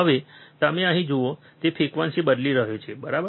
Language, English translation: Gujarati, Now, you see here, he is changing the frequency, right